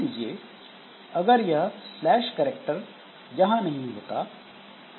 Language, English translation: Hindi, Now suppose this slash n character is not there